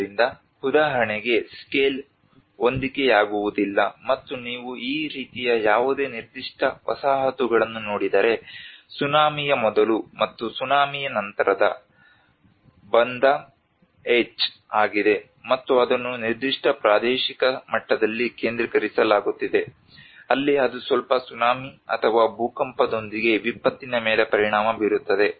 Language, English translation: Kannada, So for instance scale mismatches and if you look at any particular settlement like this is Banda Aech before tsunami and after tsunami, and it is being focused in that particular spatial level where it has an impact with the disaster with a little tsunami or an earthquake